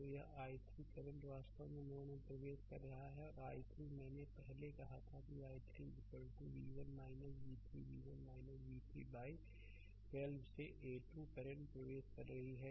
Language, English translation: Hindi, So, this i 3 current actually entering into the node and i 3 I told you earlier that i 3 is equal to v 1 minus v 3 v 1 minus v 3 by 12 these 2 currents are entering right